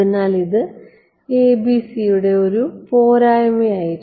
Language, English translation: Malayalam, So, it was a disadvantage of ABC ok